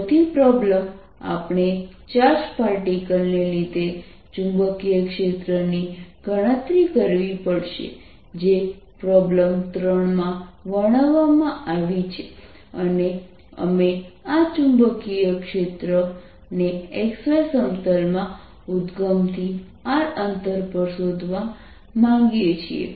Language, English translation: Gujarati, we have to calculate magnetic field because of a charged particle, which is described in problem three, and we want to find the magnetic field at a distance r from the origin in the x y plane